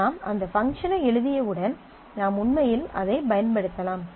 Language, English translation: Tamil, And once you have written that function then you can actually use that